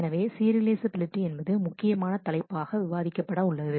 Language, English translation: Tamil, So, serializability is the main topic to discuss